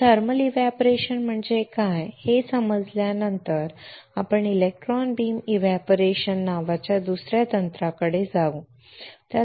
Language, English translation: Marathi, Now, once we understand what is thermal evaporator right we should go to another technique that is called electron beam evaporation